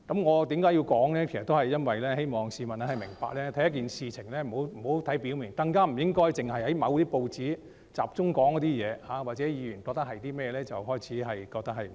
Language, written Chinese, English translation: Cantonese, 我這樣說是希望市民明白，凡事不要只看表面，更不應只聽從某些報章或議員所說的，便開始覺得不應該談論。, With these remarks I wish to let the public understand that they should not look at things only on the surface nor should they even begin discussion just after listening to what some newspapers or Members have said